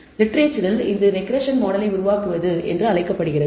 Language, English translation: Tamil, So, in literature this is known as building a regression model